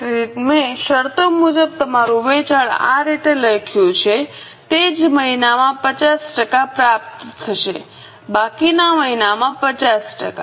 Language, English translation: Gujarati, As per the terms, 50% will be received in the same month, remaining 50% in the next month